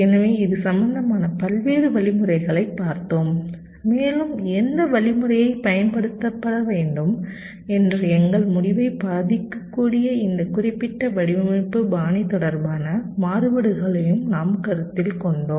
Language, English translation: Tamil, so we looked at various algorithms in this regards and we also considered this specific design style, related radiations that can affect our decision as to which algorithm should we should be used